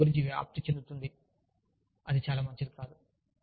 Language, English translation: Telugu, And, if word spreads about that, then, it is not very nice